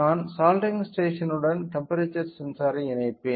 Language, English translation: Tamil, So, I will connect the temperature sensor to the soldering station